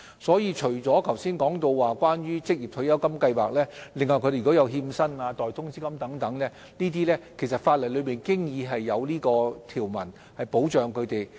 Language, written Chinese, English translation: Cantonese, 除剛才提及的職業退休計劃外，如果個案涉及拖欠薪金或代通知金等，法例亦已有條文保障他們。, If a case involves default on wage payments or payments in lieu of notice other than ORSO schemes I discussed just now they are also protected by statutory provisions